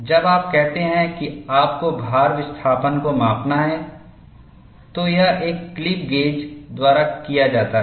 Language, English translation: Hindi, When you say you have to measure the load displacement, it is done by a clip gauge